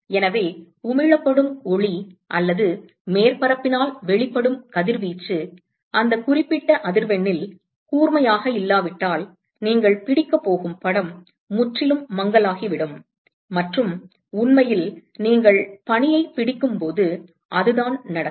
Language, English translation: Tamil, So, the light that is emitted or the radiation that is emitted by the surface if that is not sharp in that particular frequency then the image that you are going to capture is going to be completely blurred and in fact that is exactly what happens when you captures snow